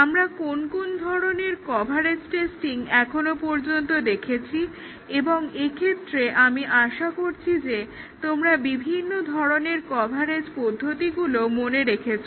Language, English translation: Bengali, What are the different types of coverage testing that we have seen so far and here I hope you remember the various types of coverage techniques